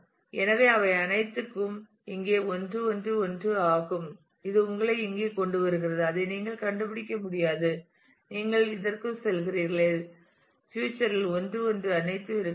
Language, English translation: Tamil, So, all of them are 1 1 1 here which brings you to this you cannot find it you go to this and all 1 1 ones in future will have to be